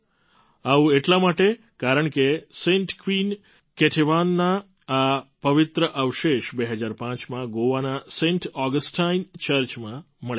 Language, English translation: Gujarati, This is because these holy relics of Saint Queen Ketevan were found in 2005 from Saint Augustine Church in Goa